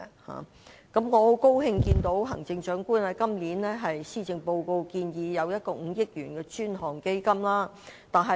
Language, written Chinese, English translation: Cantonese, 我感到很高興，行政長官在今年的施政報告建議設立5億元專項基金。, I am very glad that the Chief Executive has suggested setting up a dedicated fund of 500 million in the Policy Address this year